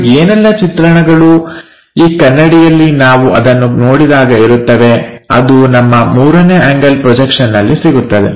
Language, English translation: Kannada, And whatever the projection you have it on that mirror that if we are looking at it, we will get that 3 rd angle projection